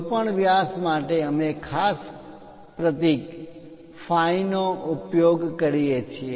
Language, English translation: Gujarati, For any diameters we use special symbol phi